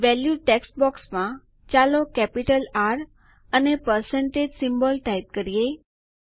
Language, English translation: Gujarati, In the Value text box, let us type in capital R and a percentage symbol